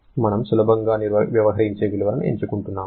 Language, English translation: Telugu, We are choosing values which will be easy to deal with